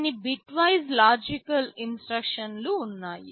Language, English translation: Telugu, There are some bitwise logical instructions